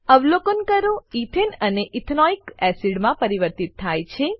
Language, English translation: Gujarati, Observe that Ethane is converted to Ethanoic acid